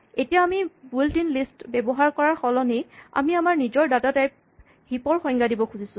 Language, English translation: Assamese, So now, we instead of using the built in list we want to define our own data type heap